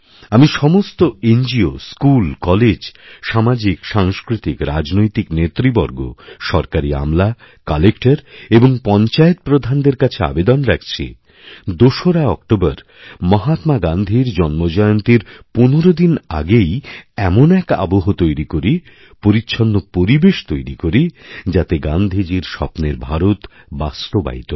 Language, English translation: Bengali, I urge all NGOs, schools, colleges, social, cultural and political leaders, people in the government, collectors and sarpanches, to begin creating an environment of cleanliness at least fifteen days ahead of Gandhi Jayanti on the 2nd of October so that it turns out to be the 2nd October of Gandhi's dreams